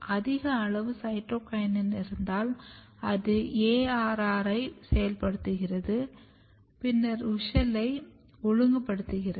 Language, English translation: Tamil, If you have high amount of cytokinin, it activates ARR and then WUSCHEL also regulate